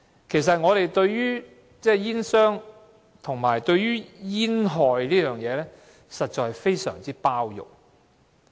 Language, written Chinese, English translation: Cantonese, 其實，我們對於煙草商和煙害的問題，實在非常包容。, In fact we have been extremely tolerant of tobacco companies in handling the problem of smoking hazards